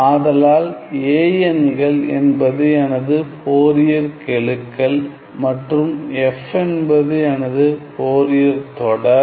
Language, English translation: Tamil, So, a n s are my Fourier coefficients and f s is my Fourier series